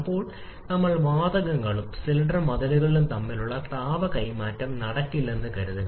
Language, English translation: Malayalam, Then we are assuming no heat exchange between the gases and cylinder walls